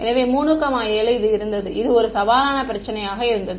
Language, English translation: Tamil, So, this was 3 and this was 7 and this was a challenging problem right